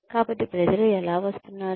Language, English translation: Telugu, So, how are people coming